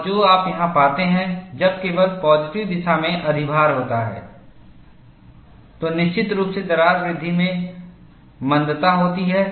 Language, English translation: Hindi, And, what you find here is, when there is overload only in the positive direction, there is definitely retardation in the crack growth